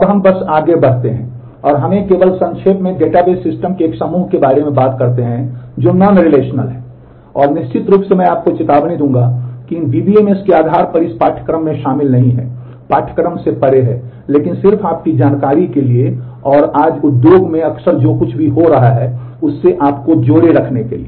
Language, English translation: Hindi, Now let us just move on and let us let me just briefly talk about the a group of database systems which are non relational and of course I would warn you that the basis for these DBMS is are not covered in this course, is beyond the course, but just for your information and to keep in keep you in tune with what is happening frequently around the industry today